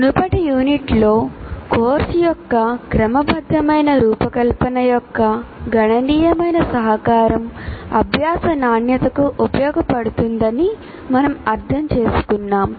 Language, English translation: Telugu, In the previous unit, we understood the significant contribution a systematic design of a course can make to the quality of learning